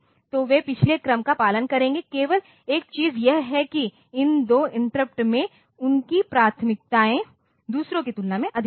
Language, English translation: Hindi, So, they will be following in the previous order, only thing is that these two interrupts they will have priorities higher than others